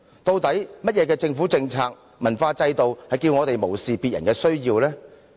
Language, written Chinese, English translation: Cantonese, 究竟甚麼政府政策和文化制度叫我們無視別人的需要呢？, What government policies and cultural systems have blinded us from the needs of others?